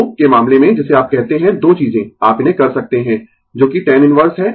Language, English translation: Hindi, So, in the case of what you call two things you can do it that is tan inverse